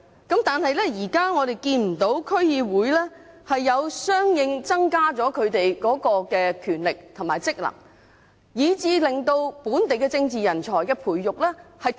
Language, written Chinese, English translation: Cantonese, 但是，我們現在看不到區議會的權力和職能獲相應增加，以致本地政治人才的培育出現斷層。, However now we see no corresponding upgrade in the powers and functions of DCs with a gap created in the continuity of local political talents